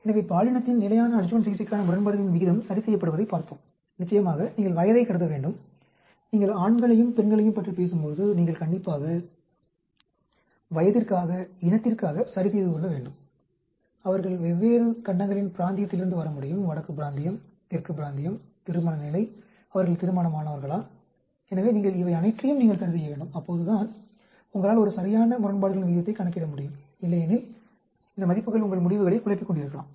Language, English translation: Tamil, So, we looked at gender standard adjuvant therapy odds ratio is adjusted for ofcourse, you have to assume age, when you talk about men and women you should adjust for age, race they could be coming from different continents region, northern region, southern region, marital status, whether they are married so you need to adjust all these things then only you can do a proper odd ratio otherwise, there these values may be confounding your results